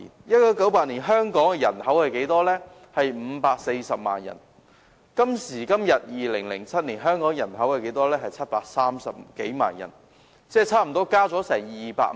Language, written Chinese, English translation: Cantonese, 1988年，香港人口是540萬人，今時今日香港人口已增至730多萬人，增加差不多200萬人。, The population of Hong Kong in 1988 was 5.4 million while today Hong Kong has a population of some 7.3 million representing an increase of some 2 million